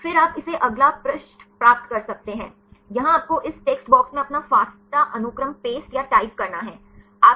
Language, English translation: Hindi, Then you can get this next page; here you have to paste or type your fasta sequence in this text box